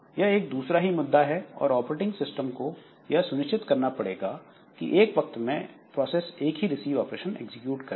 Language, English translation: Hindi, So operating system should ensure that only one process will be executing the receive operation